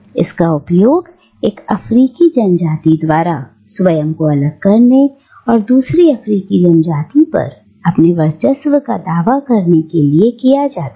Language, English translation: Hindi, It is used by one African tribe to distinguish itself and assert its supremacy over another African tribe